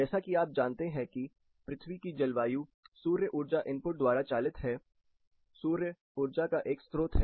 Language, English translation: Hindi, The climate of earth as you know is driven by the energy input from the sun, sun is a source of energy